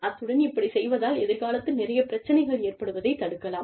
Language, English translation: Tamil, And, that will help you prevent, a lot of problems, in future